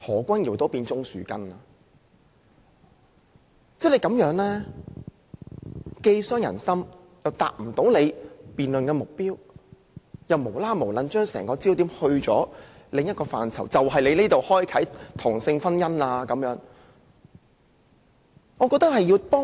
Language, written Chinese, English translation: Cantonese, 這種話既傷人心，又無法達到辯論的目標，只是把整個辯論焦點轉移至另一範疇，指出做法打開同性婚姻的缺口。, Such remarks hurt . Besides the remarks serve no purpose in the debate other than shifting the focus to another aspect claiming the arrangement will open a gap for same - sex marriage